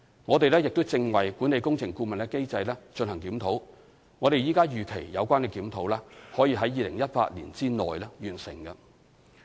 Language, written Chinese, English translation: Cantonese, 我們正為管理工程顧問機制進行檢討，我們現時預期有關檢討可於2018年內完成。, We are reviewing the mechanism for management of works consultants which the review is expected to be completed within 2018